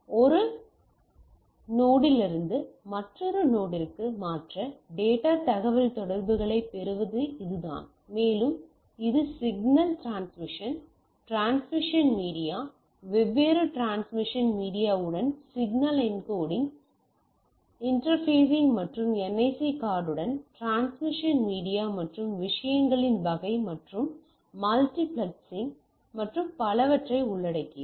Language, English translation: Tamil, So, that is the way what we do get the data communication and it involves signal transmission, transmission media, signal encoding interfacing with different transmission media and interfacing with the NIC card with the transmission media and type of things and multiplexing and so and so forth